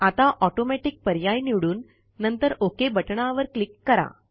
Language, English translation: Marathi, Now click on the Automatic option and then click on the OK button